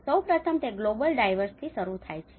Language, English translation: Gujarati, First of all, it starts from the global drivers